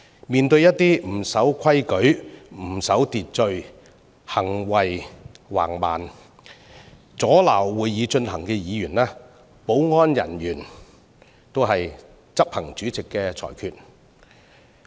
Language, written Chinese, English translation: Cantonese, 面對一些不守規矩和秩序、行徑橫蠻和阻撓會議進行的議員，保安人員只是執行主席的裁決。, Confronted by those Members who refuse to follow rules and order act in a barbaric manner and interfere with the proceedings of the Council the security staff only act on the rulings of the President